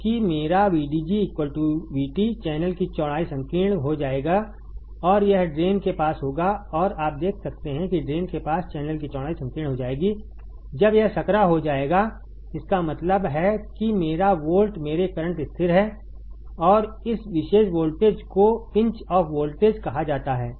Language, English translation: Hindi, Because my VDG is equals to V T the channel width will become narrow, and this will happen near the drain and you can see here the channel width near the drain will become narrower when this becomes narrower; that means, that my volt my current is kind of the rig is constant my current rig is like constant right And this particular voltage is called pinch off voltage